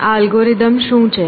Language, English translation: Gujarati, What is the characteristic of this algorithm